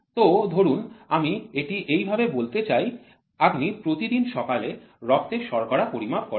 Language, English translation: Bengali, See I would put this way see you take blood sugar every day morning you try to check blood sugar